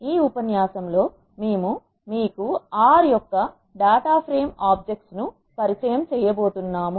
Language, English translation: Telugu, In this lecture we are going to introduce you to the data frame objects of R